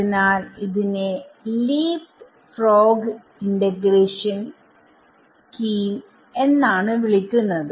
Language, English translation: Malayalam, So, that is why this scheme is called a leapfrog integration scheme leapfrog integration ok